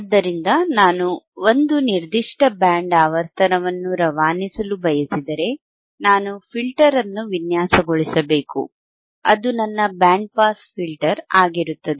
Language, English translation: Kannada, So, if I want to pass a certain band of frequency, then I hadve to design a filter which is which will be my band pass filter, right